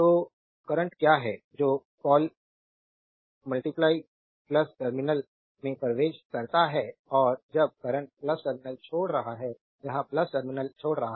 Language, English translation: Hindi, So, current is your what you call entering into the plus terminal and when current is leaving the plus terminal; it is leaving the plus terminal